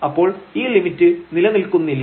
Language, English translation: Malayalam, In fact, the limit does not exist